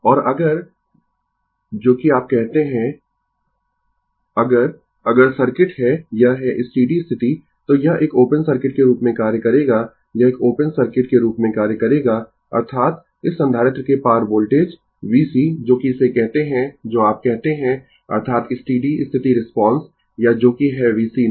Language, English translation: Hindi, And if that is your what you call, if the if the circuit has it is steady state, then this will act as a open circuit, this will act as a open circuit; that means, the voltage across this capacitor v c that is we call it what you call that is your steady state response or your that is v c infinity, right